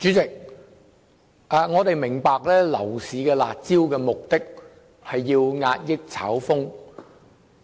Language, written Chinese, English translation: Cantonese, 主席，我們明白推出樓市"辣招"旨在遏抑炒風。, President we understand that curb measures are introduced to combat speculation in the property market